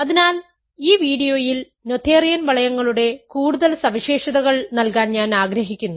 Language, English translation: Malayalam, So, in this video, I want to give some more notions more properties of noetherian rings